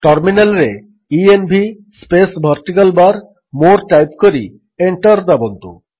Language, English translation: Odia, Type at the terminal:env space vertical bar more and press Enter